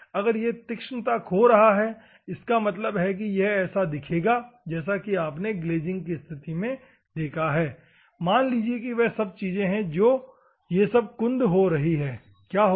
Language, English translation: Hindi, If it is losing the sharpness; that means, that as you have seen the glazing condition everything, assume that my, like this, these are the things and these are all becoming blunt, what will happen